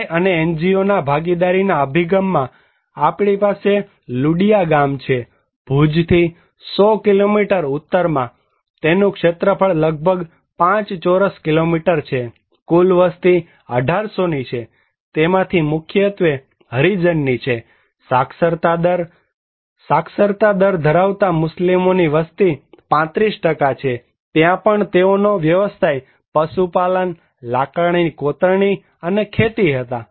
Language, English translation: Gujarati, In community NGO partnership approach, we have Ludiya village, there is 100 kilometer north from Bhuj, area is around 5 square kilometer, total population is 1800 mainly by Harijans and Muslims population comprised by literacy rate was 35%, there also occupation was animal husbandry, wood carving and cultivations